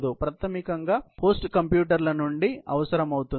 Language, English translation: Telugu, The computation basically, has a requirement comes from the host computers